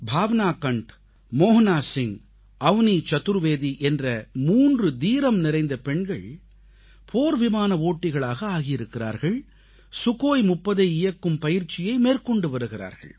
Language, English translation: Tamil, Three braveheart women Bhavna Kanth, Mohana Singh and Avani Chaturvedi have become fighter pilots and are undergoing training on the Sukhoi 30